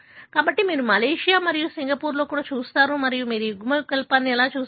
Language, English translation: Telugu, So, likewise you see in Malaysia and Singapore and that is how you see this allele